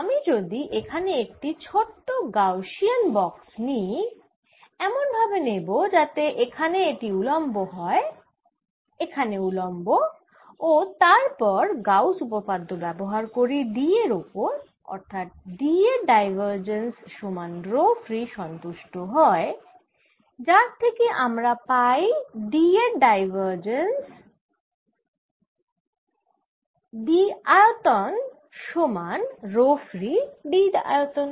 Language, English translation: Bengali, let us take in normal sphere like this, normal here like this, and apply gausas thereom to d satisfied divergence of d d equal to row free, which gives me divergence of d the volume equals row free d volume